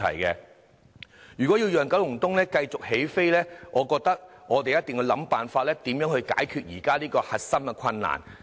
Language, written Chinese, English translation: Cantonese, 如果要讓九龍東繼續起飛，我覺得我們一定要想辦法解決現時的核心困難。, If we are to further energize Kowloon East we must work out solutions to this core problem